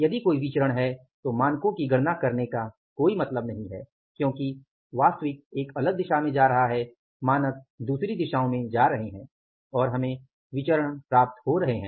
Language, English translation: Hindi, If there is a variance, then there is no point of miscalculating the standards because actually is going in a different direction, standards are going in a different direction and we are ending up with the variances